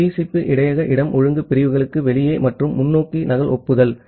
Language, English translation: Tamil, The TCP buffer space out of order segments and forward duplicate acknowledgement